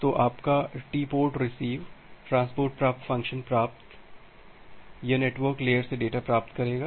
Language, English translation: Hindi, So, your TportRecv(), the transport receive function; it will receive the data from the network layer